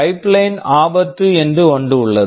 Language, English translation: Tamil, There are something called pipeline hazards